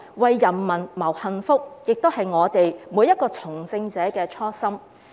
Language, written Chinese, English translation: Cantonese, 為人民謀幸福，也是每一位從政者的初心。, It is the original intention of every politician to work for the well - being of the people